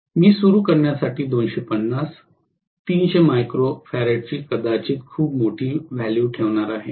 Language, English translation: Marathi, Whereas, I am going to have quite a large value maybe 250, 300 micro farad for starting